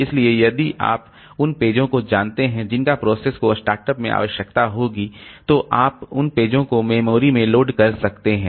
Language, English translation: Hindi, So if you know the pages that the process will need at start up, then you can load those pages into the memory